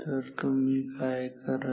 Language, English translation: Marathi, So, what do you will do